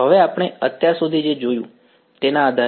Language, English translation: Gujarati, Now, based on what we have seen so far